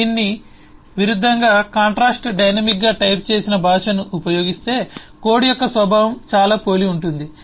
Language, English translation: Telugu, In contrast, if use a dynamically typed language, the, the nature of the code is very similar